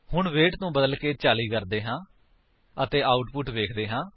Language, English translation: Punjabi, Now let us change the weight to 40 and see the output